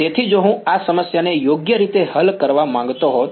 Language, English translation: Gujarati, So, if I wanted to solve this problem right